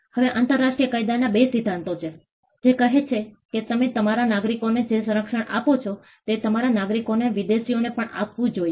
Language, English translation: Gujarati, Now, these are two principles in international law, which says that the protection that you offer to your nationals, your citizens should be offered to foreigners as well